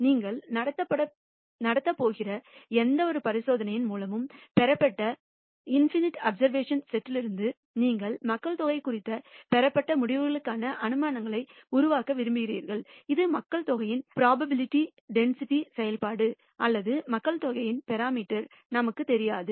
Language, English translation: Tamil, Now from this sample set you want to make inferences which are conclusions that you derive regarding the population itself, which you do not know its either the probability density function of the population or the parameters of the population